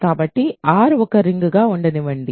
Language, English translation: Telugu, So, let R be a ring